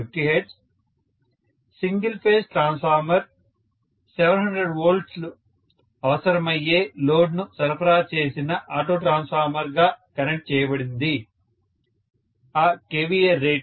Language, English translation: Telugu, Single phase transformer is connected as an auto transformer supplied load requiring 700 volts, that when the kVA rating holds for…